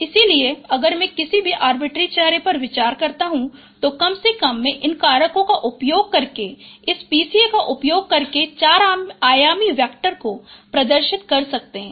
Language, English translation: Hindi, So if I consider any arbitrary phase, at least I can represent by a four dimensional vector using this PCA, using these factors